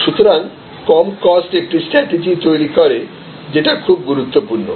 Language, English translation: Bengali, So, this low cost provide a strategy is very important